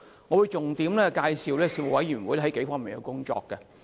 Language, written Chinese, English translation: Cantonese, 我會重點介紹事務委員會在數方面的工作。, I will highlight several areas of work undertaken by the Panel